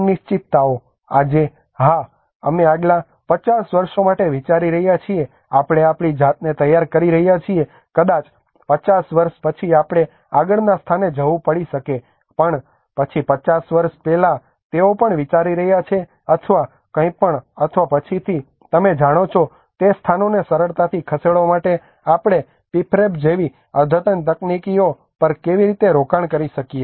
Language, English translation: Gujarati, Also the uncertainties, today yes we are planning for next 50 years we are preparing ourselves maybe after 50 years we may have to move to the next place but then 50 years before itself they are also thinking about how we can invest on advanced technologies like prefab or anything or to easily move the places later on you know